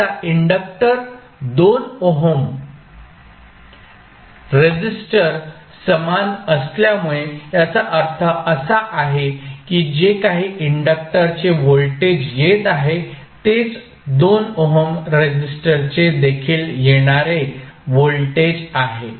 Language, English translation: Marathi, Now, since the inductor and the 2 ohm resistors are in parallel that means whatever is the voltage coming across the inductor will be the same voltage which is coming across the 2 ohm resistor